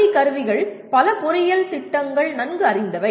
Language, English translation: Tamil, Some of the IT tools these days many engineering programs are familiar with